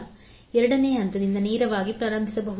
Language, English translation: Kannada, We can straight away start from second step